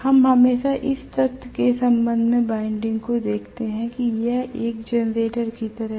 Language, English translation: Hindi, We always look at the winding with respect to the fact that it is like a generator